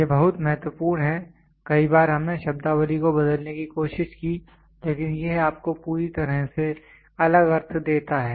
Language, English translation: Hindi, This are very important many a times we tried to interchange the terminologies, but it gives you completely different meaning